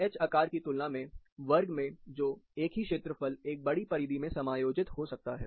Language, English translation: Hindi, In the square as compared to the H shape, which, the same area gets accommodated into a larger perimeter